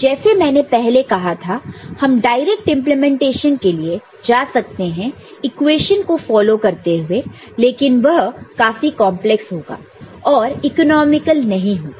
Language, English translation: Hindi, We can go for again as I said, a direct implementation following the equation, but that may be more complex and not economical